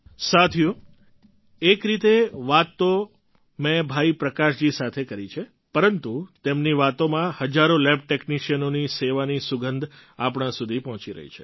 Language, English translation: Gujarati, Friends, I may have conversed with Bhai Prakash ji but in way, through his words, the fragrance of service rendered by thousands of lab technicians is reaching us